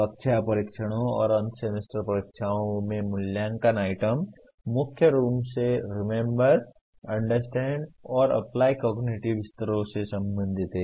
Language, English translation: Hindi, Assessment items in class tests and end semester examinations dominantly belong to the Remember, Understand and Apply cognitive levels